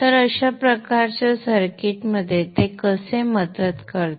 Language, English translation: Marathi, So how does it help in this kind of a circuit